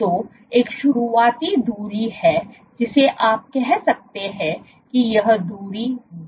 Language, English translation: Hindi, So, there is a starting distance you can say let us say this distance is Dw or Dwall